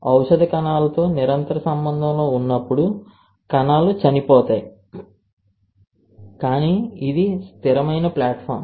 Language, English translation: Telugu, When the drug is continuous contact with the cells the cells would die, but this is a static platform form